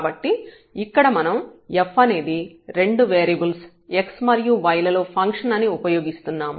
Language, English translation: Telugu, So, we are making use of that this f is a function of 2 variables x and y